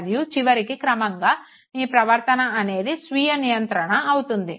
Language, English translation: Telugu, And finally, eventually behavior becomes self regulated